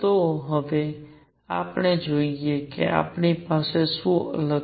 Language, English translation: Gujarati, So now, let us see what apart we have